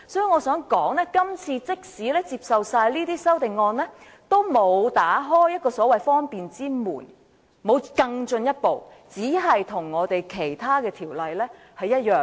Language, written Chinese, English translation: Cantonese, 我想說的是，今次即使通過所有修正案，也沒有更進一步打開一個所謂方便之門，只是與其他條例一致而已。, What I wish to say is even if all the amendments were passed this time around no further convenience would be occasioned for the amendments serve only to achieve consistency with other ordinances